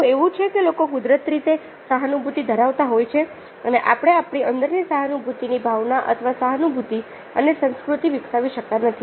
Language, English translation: Gujarati, is it that people are naturally empathetic and we cannot developed the concept of empathy on the culture of empathy rather than within ourselves will